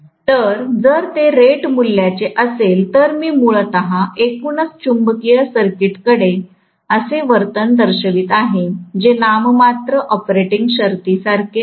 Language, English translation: Marathi, So, if it is that rated value, then I am essentially looking at the overall magnetic circuit depicting a behaviour which is very similar to normal operating conditions